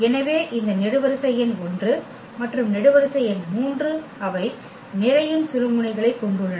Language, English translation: Tamil, So, this column number 1 and the column number 3 they have the pivots